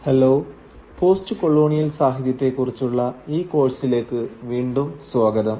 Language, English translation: Malayalam, Hello and welcome back to this course on postcolonial literature